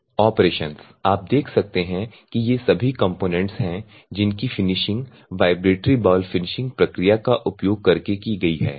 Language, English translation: Hindi, So, the operations if you see these are the normally all the component that are finished using vibratory bowl finishing process